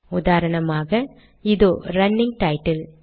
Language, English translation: Tamil, For example, this is the running title